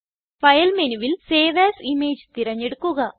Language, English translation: Malayalam, Go to File menu, select Save as image